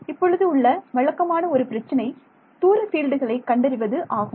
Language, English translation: Tamil, So, now the usual problem is to find out the far field right